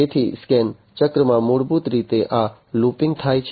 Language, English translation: Gujarati, So, in the scan cycle, basically this looping happens